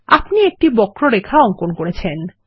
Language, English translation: Bengali, You have drawn a curved line